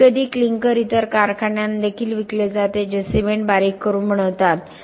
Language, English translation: Marathi, Sometimes clinker is also sold to other plants which can be grinding the cement making the cement by grinding only